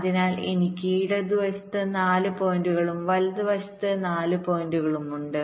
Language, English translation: Malayalam, so i have four points on the left, four points on the right